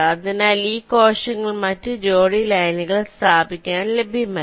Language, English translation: Malayalam, so these cells are no longer available for laying out the other pairs of lines